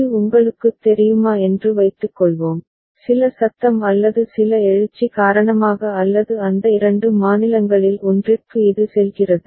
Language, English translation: Tamil, Suppose it is you know, initialised with or because of some noise or some surge it goes to one of those two states